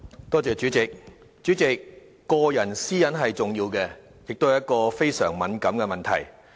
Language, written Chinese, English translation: Cantonese, 代理主席，個人私隱是重要的，也是非常敏感的問題。, Deputy President issues concerning personal data and privacy are important and highly sensitive